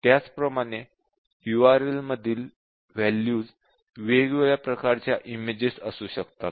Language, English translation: Marathi, Similarly, the value that is stored in the URL can be different types of images